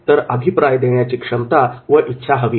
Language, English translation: Marathi, That is the willingness and ability to provide feedback